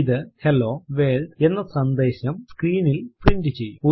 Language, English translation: Malayalam, This prints the customary Hello World message on the screen